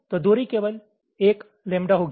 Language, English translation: Hindi, separation is one lambda